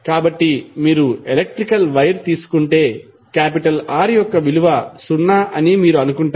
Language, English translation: Telugu, So, ideally if you take electrical wire you assume that the value of R is zero